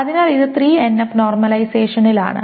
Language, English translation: Malayalam, So this is in 3NF normalization